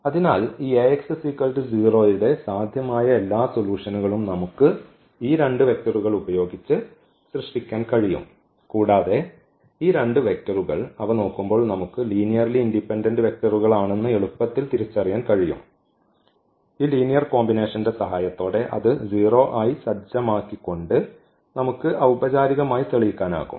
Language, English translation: Malayalam, So, all possible solution of this a x is equal to 0 we can generate using these two vectors and these two vectors looking at them we can easily identify that these are the linearly independent vectors which we can formally also prove we know with the help of this linear combination set to 0 and that will imply that those coefficients lambda 1 lambda 2 is equal to 0